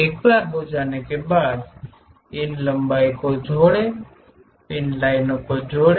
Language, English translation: Hindi, Once done, join these by lines